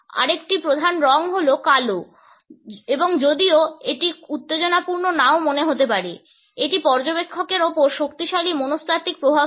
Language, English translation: Bengali, Another major color is black and although it might not seem very exciting, it has powerful psychological effects on the observer